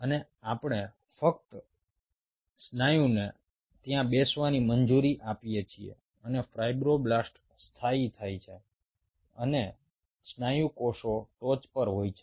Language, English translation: Gujarati, we just allow the muscle to sit there and the fibroblasts kind of settle down and the muscle cells were in the top